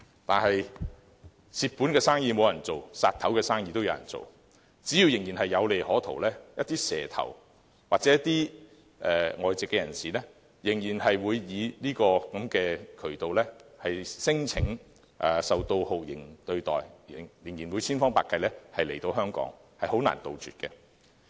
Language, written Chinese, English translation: Cantonese, 但是，"賠本生意無人做，斬首生意有人做"，只要仍然有利可圖，一些"蛇頭"或外籍人士仍會以這個渠道聲稱受到酷刑對待，千方百計來香港，令問題很難杜絕。, However as a Chinese saying goes beheading business is more popular than profitless business . As long as the human - trafficking business is lucrative there will be snakeheads or people of other nationalities making every effort to come to Hong Kong by this means and then lodge torture claims thus making this problem hard to be eradicated